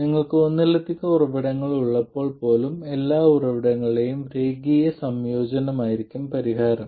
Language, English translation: Malayalam, Even when you have multiple sources, the solution will be linear combination of all the sources